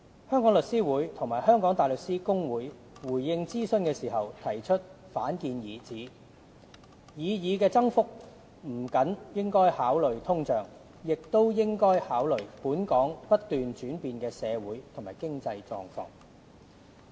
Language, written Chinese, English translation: Cantonese, 香港律師會和香港大律師公會回應諮詢時提出反建議，指擬議增幅不僅應考慮通脹，亦應考慮"本港不斷轉變的社會和經濟狀況"。, In response to that consultation The Law Society of Hong Kong and the Hong Kong Bar Association counter - proposed that the proposed increase should take into account not only inflation but also changing social and economic conditions of Hong Kong